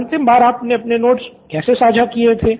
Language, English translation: Hindi, So when was the last time you shared your notes with your classmates